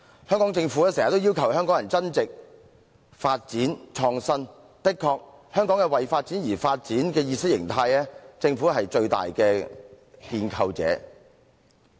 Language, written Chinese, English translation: Cantonese, 香港政府經常要求香港人增值、發展和創新，無疑香港為發展而發展的意識形態，政府是最大的建構者。, The Hong Kong Government always asks Hongkongers to add value develop and innovate . Undoubtedly the Government is the greatest constructor of the ideology that promotes development for the sake of development